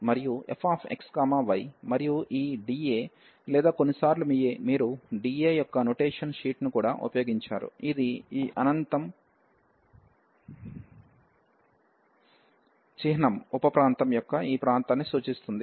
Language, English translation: Telugu, And f x, y and this d A or sometimes you also used the notation sheet of d A, which is representing this area of this infinite symbol sub region